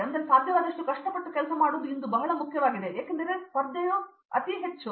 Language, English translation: Kannada, Now, work as hard as possible that is very important today because the competition is very high